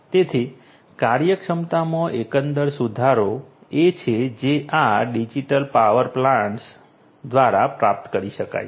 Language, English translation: Gujarati, So, overall improvement in efficiency is what can be achieved through these digital power plants